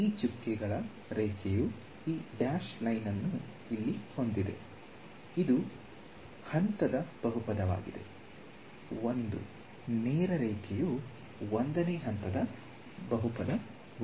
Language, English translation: Kannada, This dotted line this dash line over here, this is a polynomial of order 1 straight line is polynomial of order 1